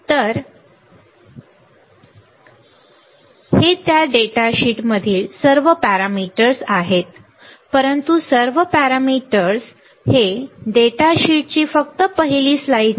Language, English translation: Marathi, So, these are all the parameters in that data sheet, but not all the parameters this is just first slide of the data sheet